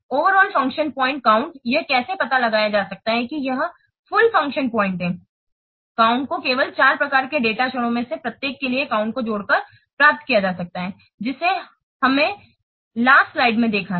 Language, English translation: Hindi, The overall full function point count can be derived by simply adding up the counts for each of the four types of data moment that we have seen in the last slide